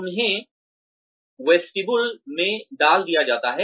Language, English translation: Hindi, They are put in a vestibule